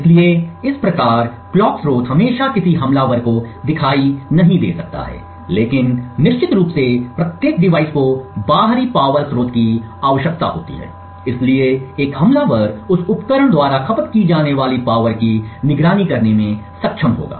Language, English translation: Hindi, So, thus the clock source may not always be visible to an attacker, but definitely every device since it would require an external power source therefore an attacker would be able to monitor dynamically the power consumed by that device